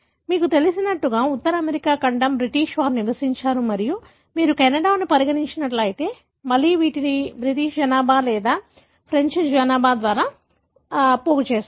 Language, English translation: Telugu, As you know, the North American continent, was populated bythe British and if you consider Canada, again these are seeded by either the British population or the French population